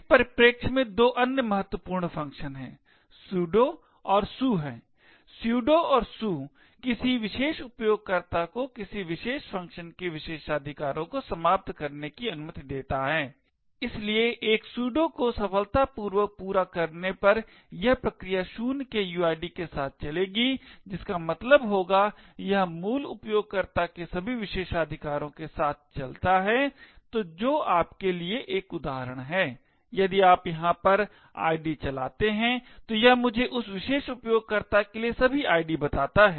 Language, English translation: Hindi, Two other important functions in this perspective are the sudo and su, the sudo and su, lets a particular user eliminate the privileges of a particular process, so on a completing a sudo successfully the process would then run with uid of 0 which would imply that it runs with all the privileges of a root user, so which is to you an example, if you run id over here, it tells me all the ids for that particular user